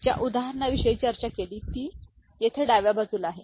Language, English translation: Marathi, So, the example that was discussed is over here in the left hand side